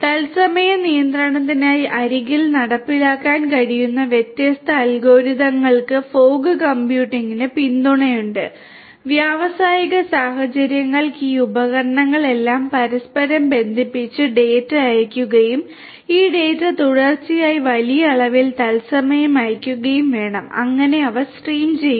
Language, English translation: Malayalam, Fog computing has support for different algorithms that can be executed at the edge for real time control, for industrial scenarios there is a requirement of all these devices connected to each other and sending the data and this data are sent continuously in real time in large volumes and so on they are streamed